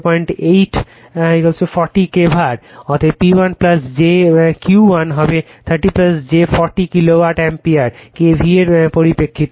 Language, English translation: Bengali, Therefore, P 1 plus j Q 1 will be 30 plus j 40 Kilovolt Ampere right, in terms of K V A